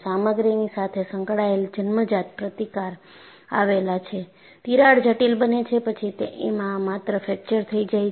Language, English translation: Gujarati, There is inherent resistant associated with the material; the crack becomes critical, then only fracture occurs